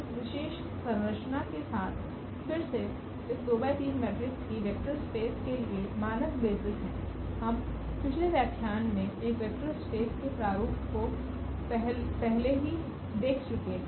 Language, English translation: Hindi, With this special structure again these are the standard basis for this vector space of this 2 by 3 matrices we have already seen that this format a vector space in the last lecture